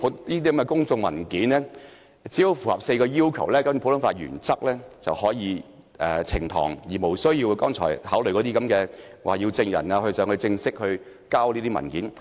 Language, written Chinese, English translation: Cantonese, 只要這些公眾文件符合4項要求，便可以根據普通法原則呈堂，無須考慮剛才所說的要證人正式提交文件。, As long as these public documents meet four requirements they can be produced in court according to common law principles without regard to the requirement that a relevant document be formally produced by a witness as mentioned just now